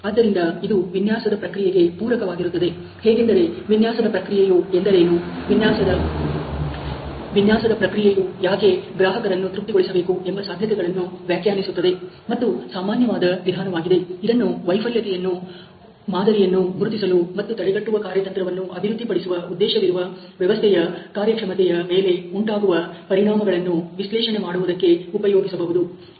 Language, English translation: Kannada, So, it is complementary to the to the design process of defining possibility what is the design process, what is design process must satisfies the costumer and it is a generic approach that can be used to identify failure mode and analyze the effects on the system performance with a objective of developing a preventive strategy